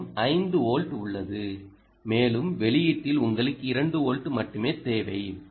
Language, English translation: Tamil, ah, you have five volts here and you need only two volts at the outputs